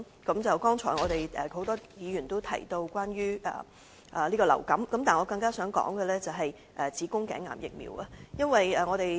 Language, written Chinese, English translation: Cantonese, 剛才很多議員提及流行性感冒，但我更想談論的是子宮頸癌疫苗接種。, Many Members have mentioned influenza vaccine but I concern more about cervical cancer vaccination